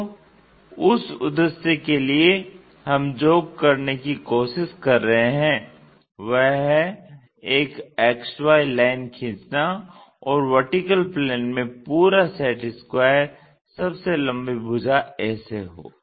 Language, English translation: Hindi, So, for that purpose what we are trying to do is draw an X Y line, in the vertical plane the entire set square the longest one lying